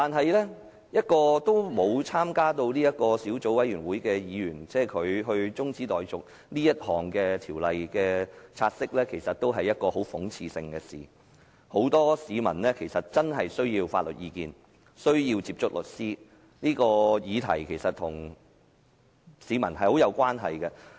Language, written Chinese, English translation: Cantonese, 然而，由一個沒有參與小組委員會的議員動議中止"察悉議案"的辯論，其實也是極為諷刺的事，因為很多市民真的需要法律意見、需要接觸律師，而這項議題其實與市民有極大關係。, However it is rather ironic that a Member who has not participated in the work of the relevant Subcommittee moved to adjourn the take - note motion debate . As many people really need legal advice and have the need to contact lawyers this piece of subsidiary legislation is very much related to peoples livelihood